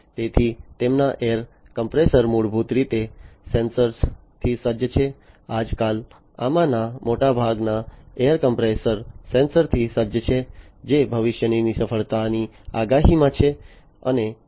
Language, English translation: Gujarati, So, their air compressors are basically sensor equipped, nowadays, most many of these air compressors are sensor equipped, which is in the prediction of future failures